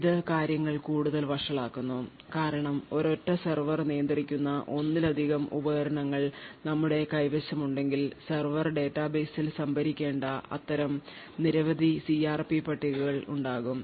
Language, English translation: Malayalam, Therefore now things get much more worse because if we have multiple devices which are managed by a single server, there would be multiple such CRP tables that are required to be stored in the server database